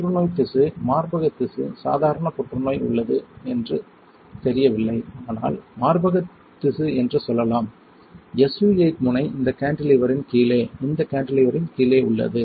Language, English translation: Tamil, There is a cancerous tissue breast tissue, normal cancer, I do not know let us say breast tissue and the SU 8 tip is at bottom of this cantilever, right bottom of this cantilever